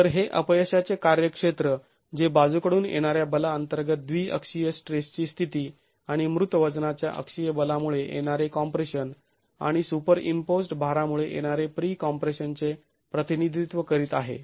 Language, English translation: Marathi, So, this is the failure domain that is representing the biaxial state of stress under lateral force and compression due to axial forces dead weight and pre compression from superimposed loads